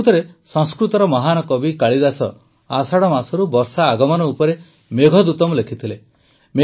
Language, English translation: Odia, Actually, the great Sanskrit poet Kalidas wrote the Meghdootam on the arrival of rain from the month of Ashadh